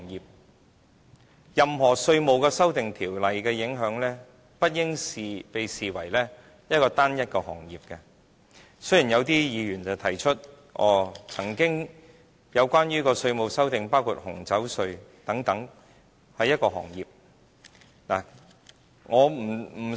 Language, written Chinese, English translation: Cantonese, 事實上，任何稅務修訂條例的影響，不應被視為單一行業。雖然有些議員提出，過往曾經有稅制修訂是關乎一個行業，包括紅酒稅等。, One should not regard any amendment to the tax laws as affecting a particular sector only though certain Members have mentioned the abolition of the duty on wine and so on with a view to proving that there were past examples of changes in taxation arrangements applicable to a particular sector only